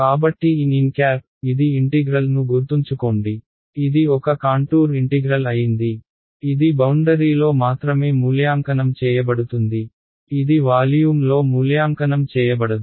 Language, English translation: Telugu, So n hat, so, this remember this is integral is a contour integral, it is evaluated only on the boundary, it is not evaluated in a volume right